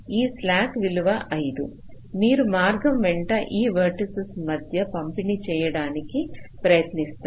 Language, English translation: Telugu, so this slack value of five you try to distribute among these vertices along the path